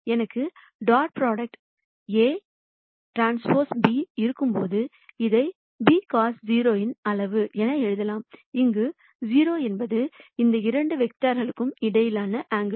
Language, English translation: Tamil, We also know that when I have dot products a transpose b, I can also write this as magnitude of a magnitude of b cos theta, where theta is the angle between these two vectors